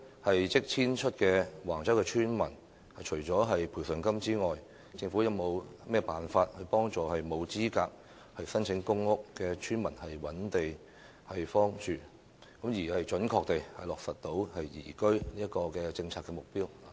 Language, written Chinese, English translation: Cantonese, 對於即將遷出的橫洲村民，政府除了提供賠償金外，會否有其他方法幫助沒有資格申請公屋的村民尋覓居所，準確地落實宜居的政策目標？, For those villagers of Wang Chau who are about to move out apart from the provision of compensation does the Government have any other methods to assist those villagers not eligible for applying for public rental housing PRH in looking for accommodation thereby accurately implementing the policy objective of liveability?